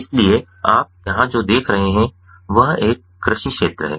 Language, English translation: Hindi, so what you see over here is an agricultural field